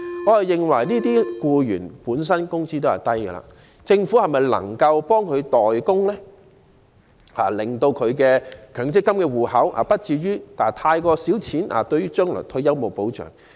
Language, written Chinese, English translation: Cantonese, 我認為這些僱員本身的工資已經低，政府是否能夠代他們供款，令他們強積金戶口的存款不至於太少，將來退休欠缺保障？, I think the incomes of these employees are low enough so can the Government should make contributions for them so that the savings in their MPF accounts would not be too small for them to enjoy protection upon retirement?